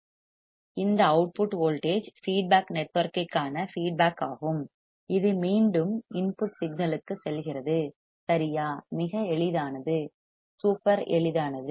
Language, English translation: Tamil, Then we have amplifier we output voltage this output voltage is feedback to the feedback network and that goes back to the input signal right easy, very easy right, super easy